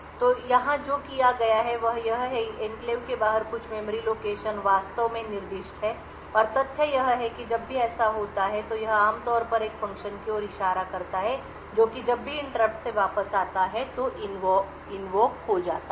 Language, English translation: Hindi, So, what is done here is that some memory location outside the enclave is actually specified and the fact is whenever so it would typically point to a function which gets invoked whenever there is a return from the interrupt